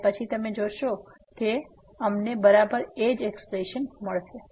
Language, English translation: Gujarati, And then you will notice that we will get exactly the same expression